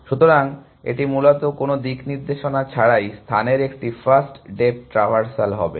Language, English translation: Bengali, So, it is will basically a depth first traversal of the space with no sense of direction